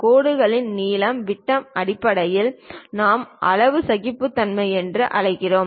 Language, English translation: Tamil, In terms of lines lengths diameter that kind of thing what we call size tolerances